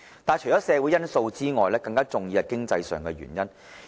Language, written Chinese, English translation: Cantonese, 但是，除了社會因素外，更重要的是經濟上的原因。, Yet apart from social factor economic consideration is even more important